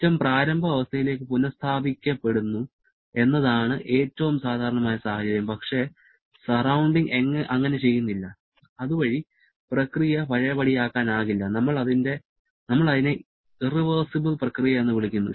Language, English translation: Malayalam, The most common situation is the system gets restored to the initial situation but the surrounding does not and thereby the process is not a reversible one what we call is an irreversible process